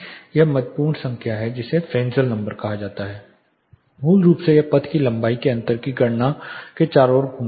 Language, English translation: Hindi, One important number is there which is called Fresnel number; basically it revolves around calculating the path length differential